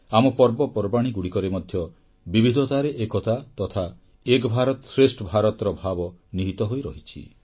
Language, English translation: Odia, Our festivals are replete with fragrance of the essence of Unity in Diversity and the spirit of One India Great India